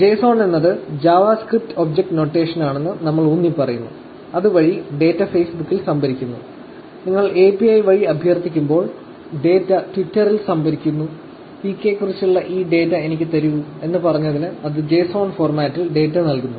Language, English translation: Malayalam, So, again, that we emphasize JSON is the JavaScript Object Notation, which is the way that the data is stored in Facebook, data is stored in twitter when you request through the API, for saying, ‘give me this data about PK’, it is returning the data in JSON format